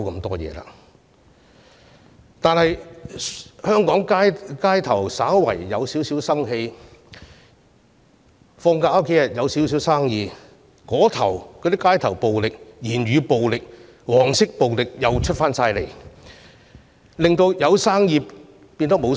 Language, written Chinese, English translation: Cantonese, 香港市面稍有生氣，假期生意略有起色，街頭暴力、言語暴力、黃色暴力便出現，令生意落空。, Just as the market has become vibrant during the holidays street violence verbal violence and yellow violence have returned disrupting business